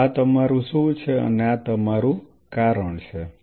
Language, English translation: Gujarati, So, this is your what this is your why